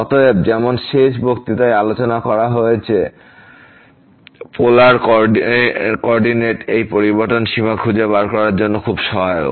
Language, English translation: Bengali, So, as discussed in the last lecture, this changing to polar coordinate is very helpful for finding out the limit